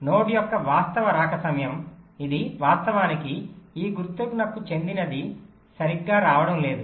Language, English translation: Telugu, the actual arrival time of a node this is actually belongs to this symbol is not coming correctly